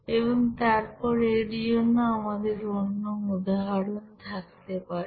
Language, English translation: Bengali, And then we can have another example for this